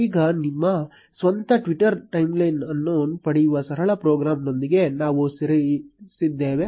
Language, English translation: Kannada, Now, we are ready with the simple program to fetch your own Twitter timeline